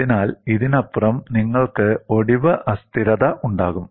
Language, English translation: Malayalam, So, beyond this, you will have fracture instability